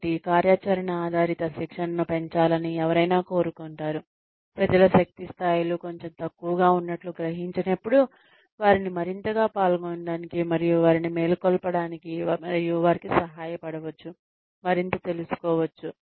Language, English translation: Telugu, So, one may want to increase the activity based training, when people's energy levels are perceived to be a little lower, just to get them more involved and, just to wake them up, and that may help them, learn more